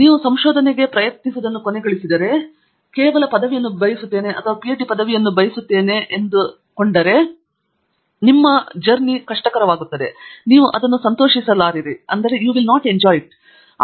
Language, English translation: Kannada, If you end up trying to do research, if you just say that I want a degree and I want a PhD degree and you just go join a university and you just pick up whichever advisor is willing to pick you up